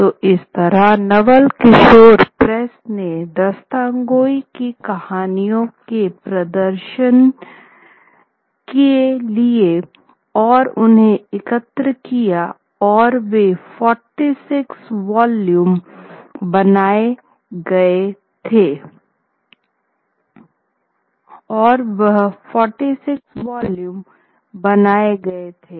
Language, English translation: Hindi, So, similarly, the Naval Kishore Press did that for the Dasthan Ghoi reperture of stories and they were collected and these 46 huge volumes were created